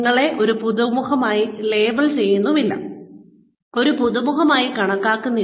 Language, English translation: Malayalam, You are not labelled as a newcomer, and identified as a newcomer